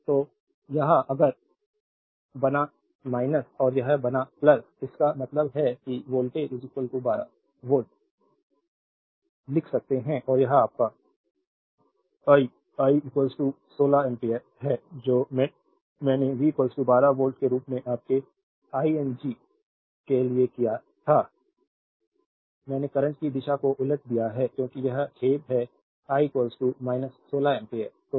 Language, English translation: Hindi, So, this one if you make minus and this is make plus so; that means, voltage is equal to we can write 12 volt and this is your I, I is equal to you write your 16 ampere, what I did for your understanding as V is equal to minus 12 volt I have reverse the direction of the current because it is sorry I is equal to minus 16 ampere